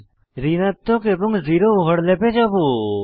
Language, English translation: Bengali, Next, we will move to negative and zero overlaps